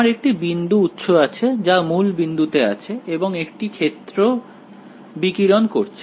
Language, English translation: Bengali, I have a point source sitting at the origin alright and radiating a field